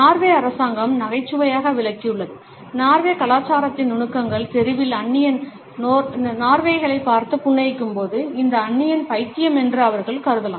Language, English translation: Tamil, The Norwegian government has humorously explained, nuances of Norwegian culture by indicating that when is stranger on the street smiles at Norwegians, they may assume that this stranger is insane